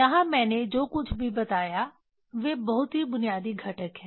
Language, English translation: Hindi, Whatever I told here these are the very basic components